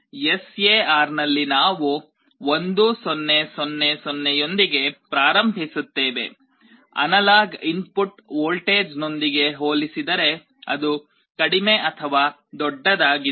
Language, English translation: Kannada, In the SAR we start with 1 0 0 0, we compare with the analog input voltage whether it is less than or greater than